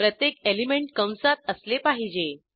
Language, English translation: Marathi, Each element should be within parentheses